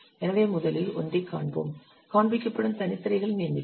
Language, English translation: Tamil, So let's see the first one, number of separate screens that are displayed